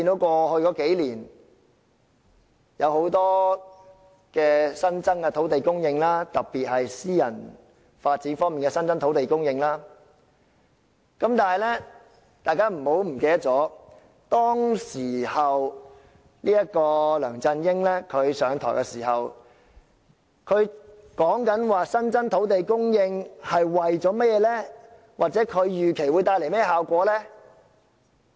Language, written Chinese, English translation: Cantonese, 過去數年，有很多新增的土地供應，特別是私人發展方面的新增土地供應，但是，大家不要忘記，當梁振英上任時，他說新增土地供應是為了甚麼或預期會帶來甚麼效果呢？, In the past few years land supply has increased a lot especially for private development . But let us not forget that when LEUNG Chun - ying took office what did he say about the purpose and the effects expected of increasing land supply?